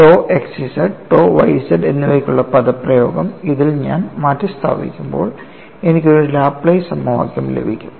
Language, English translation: Malayalam, When I substitute the expression for tau xz and tau yz in this, I get a Laplace equation